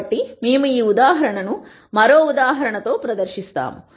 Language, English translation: Telugu, So, we will demonstrate this example this with a further example